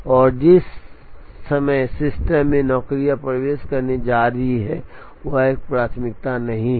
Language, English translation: Hindi, And the time at which the jobs are going to enter the system is not known a priori